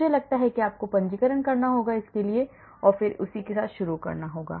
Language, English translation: Hindi, I think you have to register and so on and then start playing with that